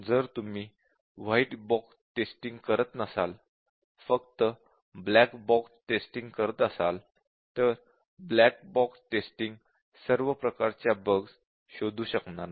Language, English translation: Marathi, Or if you do not do white box testing, do only black box testing then black box testing will not be able to detect this kind of problems, I have to give examples